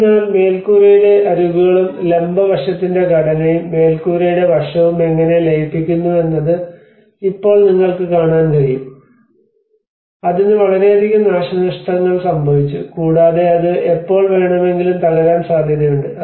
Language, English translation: Malayalam, \ \ \ So, now you can see that they have started looking at how the edges of the roof and the structure of the vertical aspect and the roof aspect are merging that is a lot of damage have occurred, and there might be a chance that it might collapse at any time